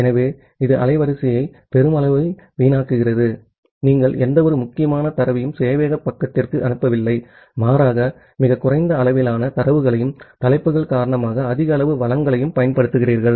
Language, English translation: Tamil, So, this results in a huge wastage of bandwidth, just you are not sending any important data to the server side, rather you are sending very small amount of data and the huge amount of resources utilized because of the headers